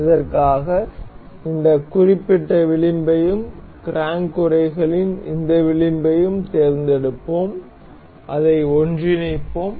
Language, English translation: Tamil, For this, we will select the this particular edge and the this edge of the crank casing, we will mate it up to coincide